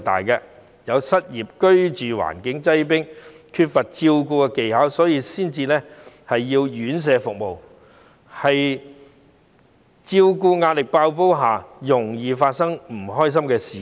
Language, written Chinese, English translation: Cantonese, 有些家庭居住環境擠迫，家人缺乏照顧技巧，所以需要院舍服務，在照顧壓力爆煲的情況下，很容易會發生不開心的事件。, Some families need institutional services because they live in cramped conditions or their family members are in lack of caring skills . If they are excessively stressed out unpleasant incidents will easily happen